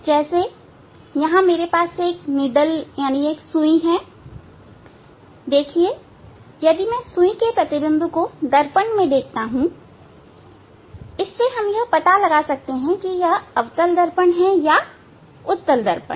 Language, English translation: Hindi, Say I have a needle here see if I see the image of the needle in the mirror then we can identify whether it is concave or convex